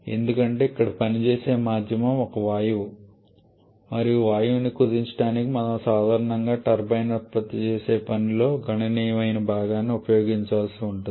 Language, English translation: Telugu, Because here the working medium is a gas and to compress the gas we generally have to use significant portion of the work produced by the turbine